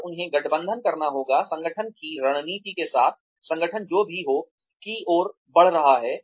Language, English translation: Hindi, And, they have to be aligned, with the strategy of the organization, with whatever the organization, is heading towards